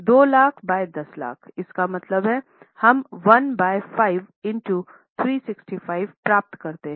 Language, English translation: Hindi, 2 lakhs by 10 lakhs, that means we get 1 by 5 into 365